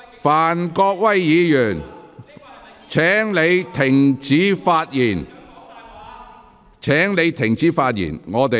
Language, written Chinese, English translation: Cantonese, 范國威議員，請停止發言。, Mr Gary FAN please stop speaking